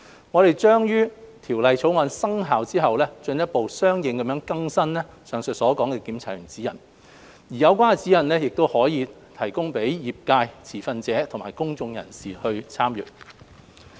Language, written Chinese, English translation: Cantonese, 我們將於《條例草案》生效後進一步相應更新上述的《檢查員指引》，而有關指引可供業界、持份者和公眾人士參閱。, We will update the Guidelines correspondingly once the Bill takes effect for reference of the related industry shareholders and the general public